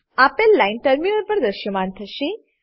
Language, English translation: Gujarati, The following line will be displayed on the terminal